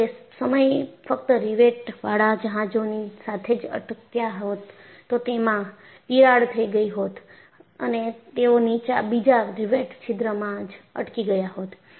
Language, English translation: Gujarati, If they had stuck only with riveted ships, cracks would have formed, but they would have got stopped in another rivet hole